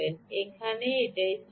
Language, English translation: Bengali, that is the key here